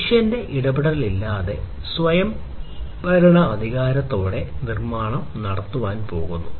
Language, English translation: Malayalam, So, autonomic autonomously the manufacturing is going to be done, without any human intervention